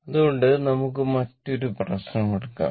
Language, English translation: Malayalam, So, next we will take another another problem